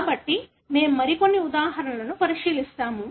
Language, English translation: Telugu, So, we will look into some more examples